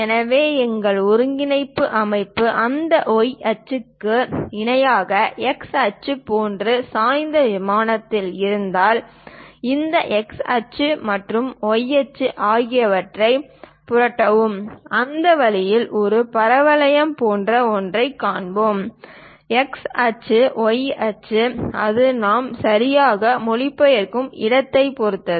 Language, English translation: Tamil, So, if our coordinate system is on the inclined plane like x axis normal to that y axis, flip this x axis, y axis; then we will see something like a parabola in that way, x axis, y axis, it depends on where exactly we are translating